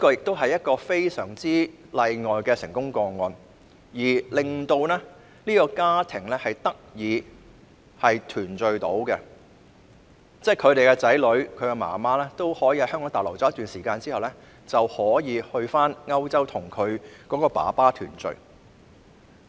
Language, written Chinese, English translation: Cantonese, 這是一個非常例外的成功個案，讓他們一家能夠團聚，母親與子女在香港逗留了一段時間後，最終可以到歐洲跟父親團聚。, This is a very exceptional case of success in which family members can finally be reunited . After staying in Hong Kong for a period of time the mother and the children were finally able to be reunited with the father in Europe